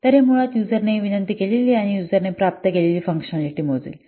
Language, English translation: Marathi, So it will basically measure the functionality that the user request and the user receives